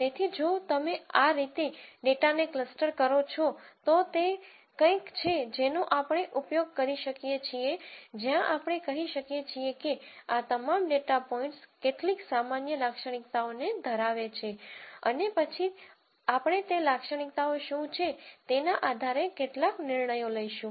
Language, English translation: Gujarati, So, if you cluster the data this way then it is something that we can use where we could say look all of these data points share certain common characteristics and then we are going to make some judgments based on what those characteristics are